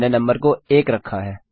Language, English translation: Hindi, Ive got the number set to 1